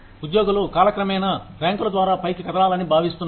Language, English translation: Telugu, Employees are expected to move up, through the ranks, over time